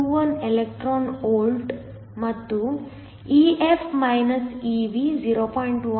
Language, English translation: Kannada, 21 electron volts and EF – Ev is 0